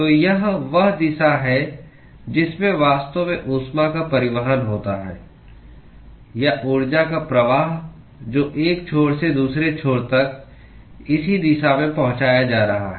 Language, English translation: Hindi, So, this is the direction in which the heat is actually transported; or the flux of energy that is being transported from one end to the other end is in this direction